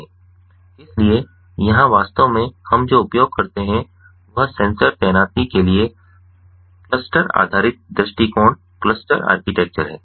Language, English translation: Hindi, so here, actually, what we use is a cluster based approach, cluster architecture for sensor deployment and ah